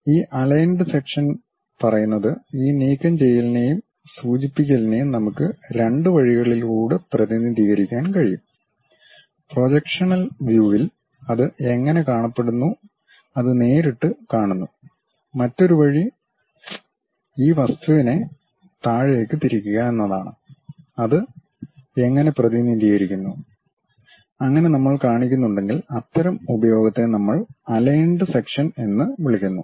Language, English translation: Malayalam, This aligned section says, we can represent these removal and representation by two ways; one straight away see that in the projectional view, how it looks like, the other way is rotate this object all the way down how that really represented, that kind of use if we are showing, that we call aligned sections